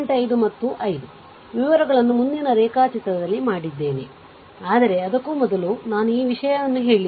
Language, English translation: Kannada, 5 and 5 details, I made it in the next diagram, but ah before that I just told you that this is the thing